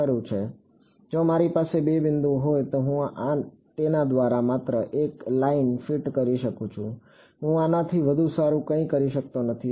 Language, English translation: Gujarati, Right so, if I have two points I can only fit a line through it I cannot do anything better fine ok